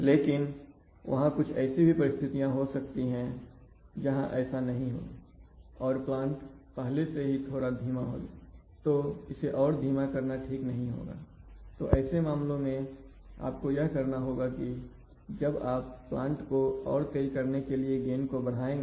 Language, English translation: Hindi, But there may be some situations where this is not the case and the plant itself is supposed to be slow and then slowing this further is not desirable, so in such a case what you have to do is now if you want to make a plan faster, you will have to increase the gain